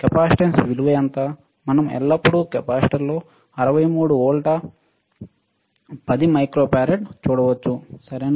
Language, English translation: Telugu, What is the capacitance value, we can always see on the capacitor the 63 volts 10 microfarad ok